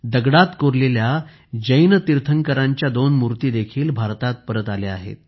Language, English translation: Marathi, Two stone idols of Jain Tirthankaras have also come back to India